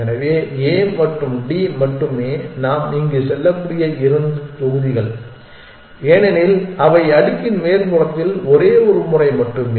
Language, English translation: Tamil, So, only A and D are the two blocks we can move here because they are of the only once on the top of the stack